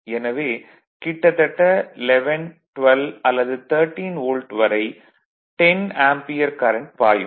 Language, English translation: Tamil, So, around 11, 12 or 13 Volt, you will find the 10 Ampere current is flowing